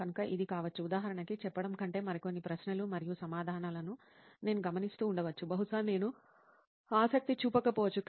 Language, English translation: Telugu, So it might be, I might be noting few more questions and answers than say example there is a subject probably I might not take interest to